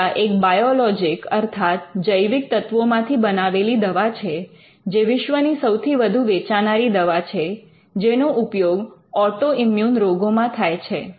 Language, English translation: Gujarati, Humira is a biologic and it is the world’s largest selling drug which is used for autoimmune diseases